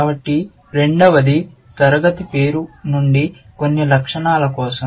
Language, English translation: Telugu, So, the second one is for some attribute from the class name